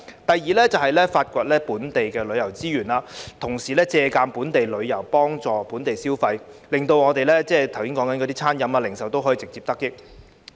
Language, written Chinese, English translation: Cantonese, 第二，是發掘本地旅遊資源，同時借助本地旅遊幫助本地消費，讓我們剛才提及的餐飲和零售業直接得益。, Secondly we should explore local tourism resources and at the same time leverage local tourism to drive domestic consumption so that the food and beverage services and retail industries that we mentioned earlier can directly benefit from it